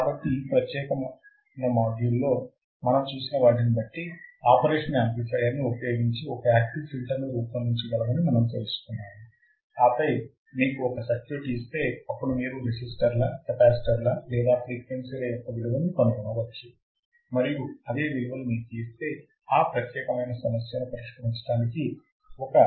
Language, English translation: Telugu, So, what we have seen in this particular module, we have seen that we can design an active filter using the operational amplifier and then if you are given a circuit then you can find the values of the resistors, capacitors or frequency and or if you are given the values you can design the circuit which is this particular problem which is the problem in front of you